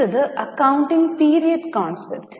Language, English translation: Malayalam, Next turn is accounting period concept